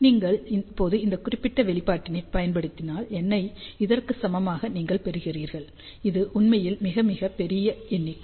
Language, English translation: Tamil, And if you use now this particular expression, you get N equal to this; you can see that it is really a very, very large number